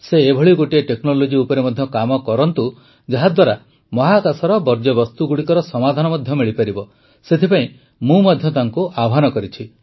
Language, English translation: Odia, I have also given him a challenge that they should evolve work technology, which can solve the problem of waste in space